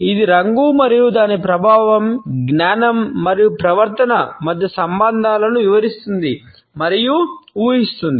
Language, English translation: Telugu, That explains and predicts relations between color and its effect, cognition and behavior